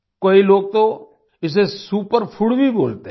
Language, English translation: Hindi, Many people even call it a Superfood